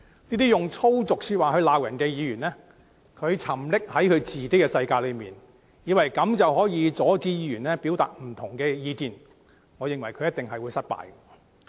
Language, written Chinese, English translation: Cantonese, 這些用粗俗說話來罵人的議員沉溺在自己的世界中，以為這樣便能阻止其他議員表達不同的意見，我認為他們一定會失敗。, Indulging in their make - believe world those Members who reprimand others with vulgarisms think that so doing can deter other Members from expressing dissenting views . In my view they are doomed to fail